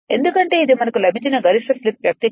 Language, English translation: Telugu, Because this is the slip expression for maximum we got